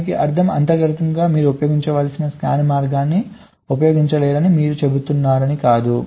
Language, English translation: Telugu, so it is not that you saying that internally you cannot use any scan path, that also you can use